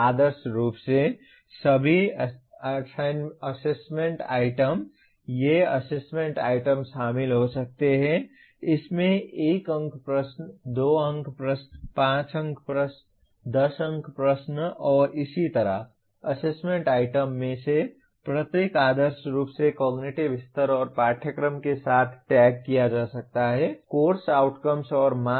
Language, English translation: Hindi, Ideally, all assessment items, these assessment items could include it could be 1 mark questions, 2 mark questions, 5 mark questions, 10 mark questions and so on, each one of the assessment item is ideally to be tagged with the cognitive level and course outcome and the marks